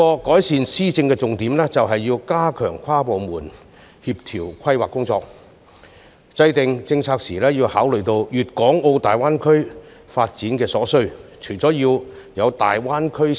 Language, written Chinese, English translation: Cantonese, 改善施政的另一重點，在於加強跨部門協調的規劃工作，並在制訂政策時，一併考慮粤港澳大灣區發展所需。, Another key point in improving governance lies in the stepping up of planning for cross - departmental coordination while taking into account the development needs of the Guangdong - Hong Kong - Macao Greater Bay Area when formulating policies